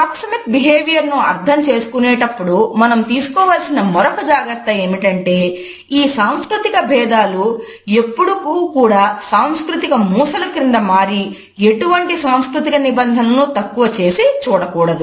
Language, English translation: Telugu, Another precaution which we have to take during our understanding of the proxemic behavior is that these cultural differences should never be turned into cultural stereotypes to look down upon any cultural norm